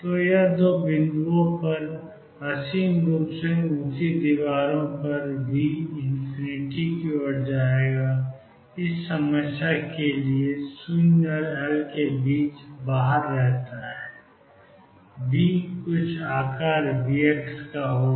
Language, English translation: Hindi, So, this is the problem with infinitely high walls V goes to infinity at 2 points and remains infinity outside between 0 and L, V is some shape V x